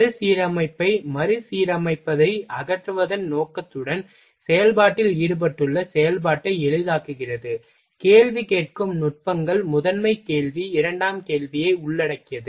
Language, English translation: Tamil, With the objective of eliminating combining rearranging simplifying the activity involved in the process, questioning techniques involve primary question secondary question